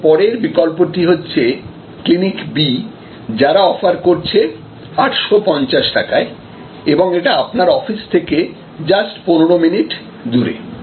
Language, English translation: Bengali, Now, the next alternative Clinic B might be offering 850 rupees and it is just located 15 minutes away from your office